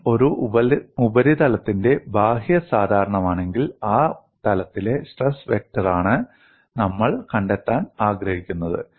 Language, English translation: Malayalam, If n is the outward normal of a surface, then the stress vector on that plane is what we want to find